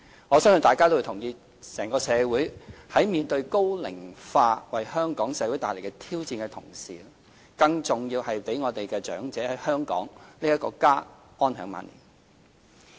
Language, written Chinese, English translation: Cantonese, 我相信大家亦認同，整個社會在面對高齡化為香港帶來的挑戰的同時，更重要的是讓長者在香港這個家安享晚年。, I believe Members will all agree that while the entire society will face challenges brought forth by an ageing population to Hong Kong it is more important to enable the elderly to enjoy their old age peacefully and comfortably in Hong Kong a place which is home to them